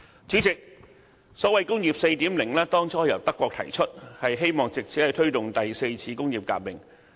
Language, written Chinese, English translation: Cantonese, 主席，"工業 4.0" 最初由德國提出，希望藉此推動第四次工業革命。, President Industry 4.0 was initiated by Germany in the hope of promoting the fourth industrial revolution